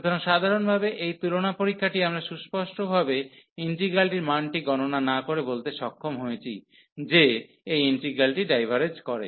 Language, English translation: Bengali, So, by simple this comparison test, we are able to tell without explicitly computing the value of the integral that this integral diverges